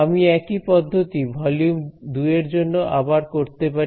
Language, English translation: Bengali, I can repeat the same process for volume 2 right